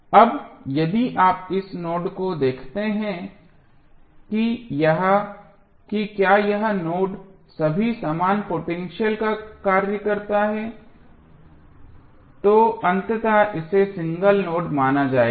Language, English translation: Hindi, Now, if you see this node whether this is a or this node or this node all are act same potentials so eventually this will be considered as a single node